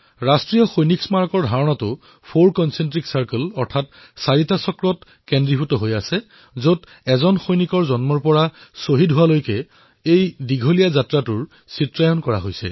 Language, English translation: Assamese, The concept of the National Soldiers' Memorial is based on the notion of four concentric circles, which depicts the journey of a soldier from coming into being, culminating in his martyrdom